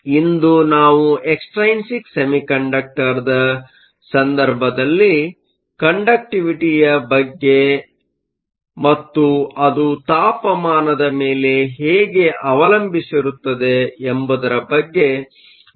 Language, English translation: Kannada, So, today we will go further and talk about conductivity in the case of an extrinsic semiconductor, and how that depends upon temperature